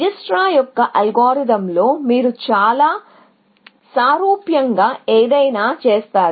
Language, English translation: Telugu, In Dijikistra’s algorithm, you would do something, very similar